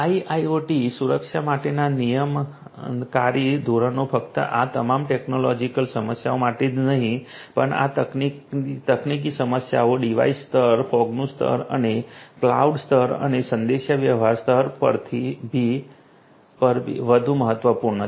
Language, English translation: Gujarati, Regulatory standards for IIoT security is important not only all these technological issues, not only these technical issues, device level, fog level and cloud level and the communication level and so on